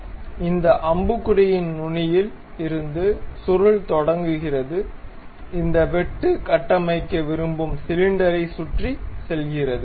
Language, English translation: Tamil, So, helix begins at starting of this arrow, goes around the cylinder around which we want to construct this cut